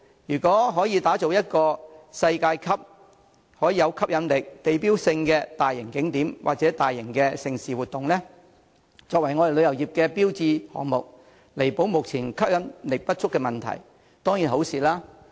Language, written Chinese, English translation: Cantonese, 如果可打造一個世界級、有吸引力、具地標性的大型景點或大型盛事活動，以作為我們旅遊業的標誌項目，彌補目前吸引力不足的問題，這當然是件好事。, If we can create a world - class attractive landmark―be it a major tourist attraction or a mega event―and use it as an iconic project for our tourism industry to make up for its current lack of attractiveness this is of course a good thing